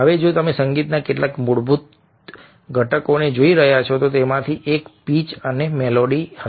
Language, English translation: Gujarati, now, if you are looking at some of the basic components of music, one of them would be pitch and melody